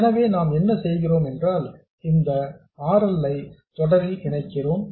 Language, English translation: Tamil, We just connect this RL in series